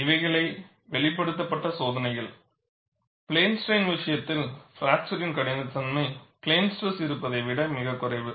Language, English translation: Tamil, So, the experiments revealed, the fracture toughness in the case of plane strain is far below what you have in plane stress